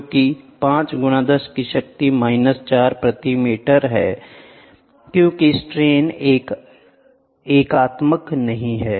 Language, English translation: Hindi, So, which is nothing but 5 into 10 to the power minus 4 meter per meter because strain has it is not a unitary